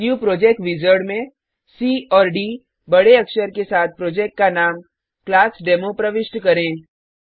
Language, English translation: Hindi, In the New Project Wizard, enter the Project name as ClassDemo with C and D in capital